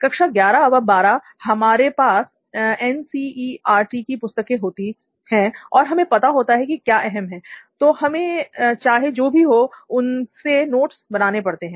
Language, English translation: Hindi, So like in 11th, 12th we have NCERT few books, and we know that these things are going to be important thing and we have to note these things whatever it is